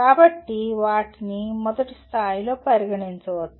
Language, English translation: Telugu, So they can be considered at first level